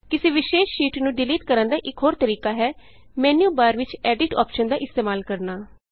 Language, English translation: Punjabi, Another way of deleting a particular sheet is by using the Edit option in the menu bar